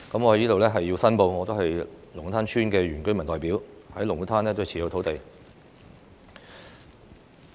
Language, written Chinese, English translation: Cantonese, 我在此申報，我是龍鼓灘村的原居民代表，在龍鼓灘擁有土地。, I must make a declaration that I am the representative for indigenous inhabitants of Lung Kwu Tan Village and I own some land in Lung Kwu Tan